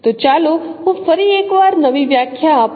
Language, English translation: Gujarati, So let me redefine once again